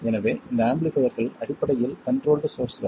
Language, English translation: Tamil, So these amplifiers are basically controlled sources